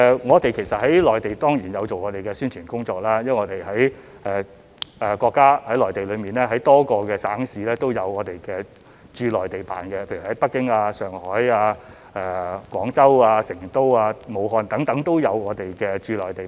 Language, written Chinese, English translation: Cantonese, 我們在內地當然有做宣傳工作，因為內地多個省市都有我們的駐內地辦，例如北京、上海、廣州、成都、武漢等都有我們的駐內地辦。, Of course we have carried out publicity activities in the Mainland as we have offices in a number of Mainland provinces and cities such as Beijing Shanghai Guangzhou Chengdu Wuhan etc